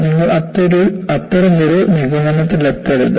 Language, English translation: Malayalam, You should not come to such kind of a conclusion